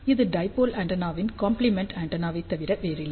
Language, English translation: Tamil, So, this is nothing but a complementary antenna of dipole antenna